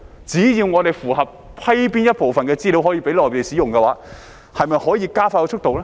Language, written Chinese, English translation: Cantonese, 只要我們批准某部分資料讓內地使用，是否可以加快速度呢？, Can we speed up the process by simply allowing the use of certain data by the Mainland?